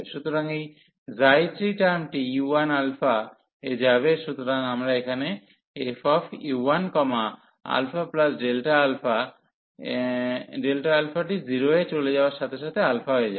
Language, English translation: Bengali, So, this term psi 3 will go to u 1 alpha, so we have here f and u 1 alpha and this alpha plus delta alpha will be alpha as delta alpha goes to 0